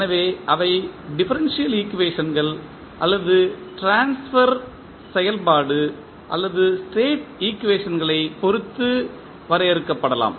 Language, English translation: Tamil, So, they can be defined with respect to differential equations or maybe the transfer function or state equations